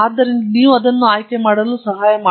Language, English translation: Kannada, So, you have to help choose it